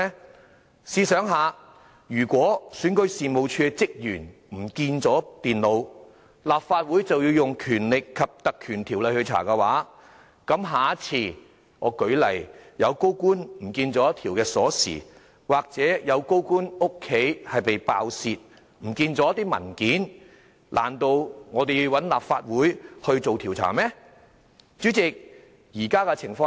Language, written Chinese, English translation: Cantonese, 大家試想想，如果選舉事務處的職員遺失電腦，立法會便要引用《條例》來調查，那麼下次——舉例來說——如果有高官遺失一條鑰匙，又或有高官家中被爆竊，遺失一些文件，難道立法會又要進行調查嗎？, Imagine if it requires the Legislative Council to invoke the Ordinance for inquiring into the loss of computers kept by REO staff then say if a certain senior public officer lose a key in the future or if someone break into the residence of another officer and that some documents are found missing will we need the Legislative Council to conduct investigation as well?